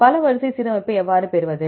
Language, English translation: Tamil, How to get the multiple sequence alignment